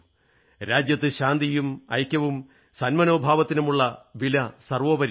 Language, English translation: Malayalam, The values of peace, unity and goodwill are paramount in our country